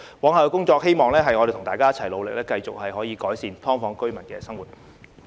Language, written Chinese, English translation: Cantonese, 我希望大家一起努力，往後繼續可以改善"劏房"居民的生活。, I hope that we can work together to continue to improve the lives of SDU tenants in future